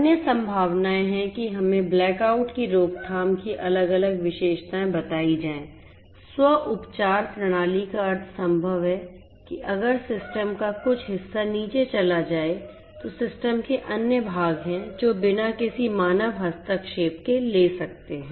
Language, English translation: Hindi, Other possibilities are to have different features of let us say black out prevention, it is possible to have self healing system that means, that if some part of the system goes down there are other parts of the system that can take over without any human intervention so self healing